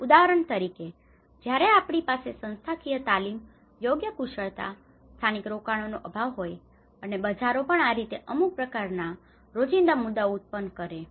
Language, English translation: Gujarati, For example, when we have the institutional lack of institutional training, appropriate skills, local investments, even how the markets will also create some kind of everyday issues